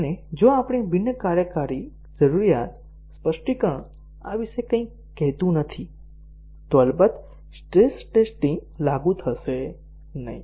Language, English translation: Gujarati, And if our non functional requirement specification does not tell anything about this then of course, the stress testing would not be applicable